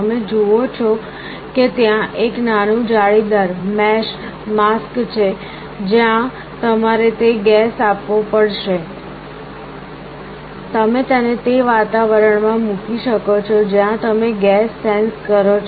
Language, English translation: Gujarati, You see there is a small mesh kind of a mask where you have to give that gas, you can put it in the environment where you are sensing the gas